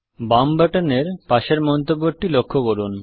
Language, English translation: Bengali, Observe the comment next to the left button